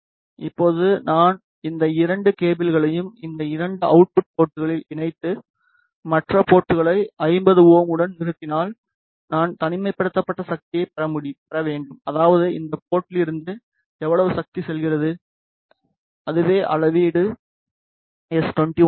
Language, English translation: Tamil, Now, if I connect these two cables at these two output ports and terminate the other port with the 50 ohm like this, then I should get the isolated power that is how much power is going from this port to this and that will be the measure of s 21